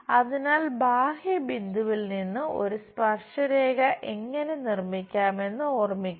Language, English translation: Malayalam, So, recall from external point how to construct a tangent